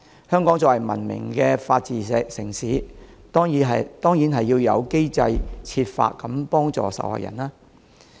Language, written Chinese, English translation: Cantonese, 香港作為文明的法治城市，當然要有機制設法幫助受害人。, As a civilized city with the rule of law Hong Kong certainly needs a mechanism to help the victims